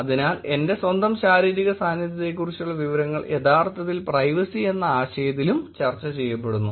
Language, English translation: Malayalam, So, information about my own physical presence is actually also discussed in the concept of privacy